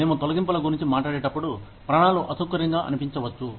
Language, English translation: Telugu, When we talk about layoffs, the survivors, may feel uncomfortable